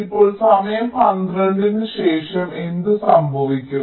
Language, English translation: Malayalam, right now, after time twelve, what will happen